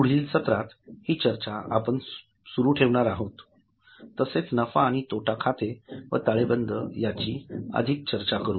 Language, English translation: Marathi, In the next session, we are going to continue this and go further into what is P&L and balance sheet